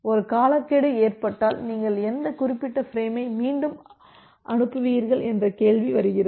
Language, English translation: Tamil, And if a timeout occurs then the question comes that which particular frame you will retransmit